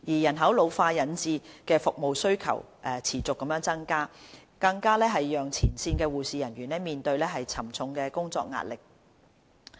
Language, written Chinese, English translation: Cantonese, 人口老化引致服務需求持續增加，更讓前線的護理人員面對沉重的工作壓力。, With the increasing service demand from an ageing population frontline nursing staff are under tremendous work pressure